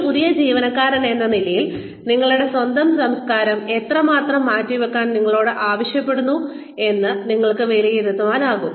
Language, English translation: Malayalam, As a new employee, you can assess, how much of your own culture, you are being asked to set aside